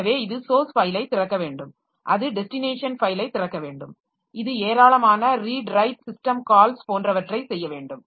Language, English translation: Tamil, So, it has to open the source file, it has to open the destination file, it has to do a number of read and write system calls